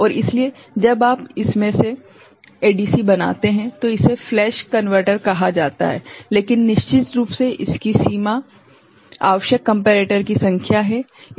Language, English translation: Hindi, And that is why when you make a ADC out of this is called flash converter right, but the limitation of course, is the number of comparators required